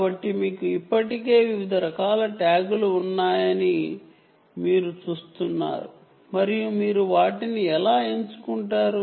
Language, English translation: Telugu, so you see already you have different types of tags and how do you choose them